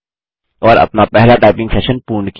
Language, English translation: Hindi, And completed our first typing lesson